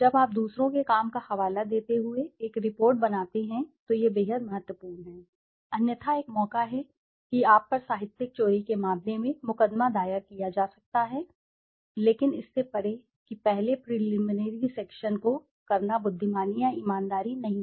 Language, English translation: Hindi, When you make a report citing the work of others it is extremely, extremely important otherwise there is a chance that you might be sued in terms of plagiarism, but beyond that it is not wise or honest to do that first the preliminary section